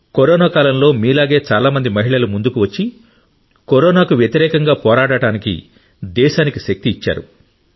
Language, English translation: Telugu, During corona times many women like you have come forward to give strength to the country to fight corona